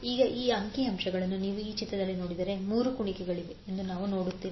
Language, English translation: Kannada, So now if you see this figure in this figure, we see there are 3 loops